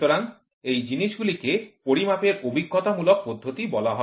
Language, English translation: Bengali, So, those things are called empirical methods of measurement